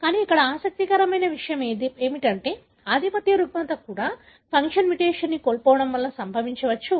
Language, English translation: Telugu, But what is interesting here is that the dominant disorder can also be caused by loss of function mutation